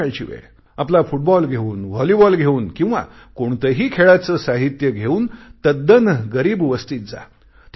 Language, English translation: Marathi, In the evening, take your football or your volleyball or any other sports item and go to a colony of poor and lesser privileged people